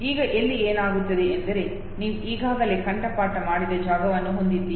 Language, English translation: Kannada, Now what happens here is, that you have already a memorized space, okay